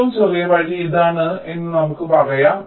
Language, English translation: Malayalam, lets say the shortest path is this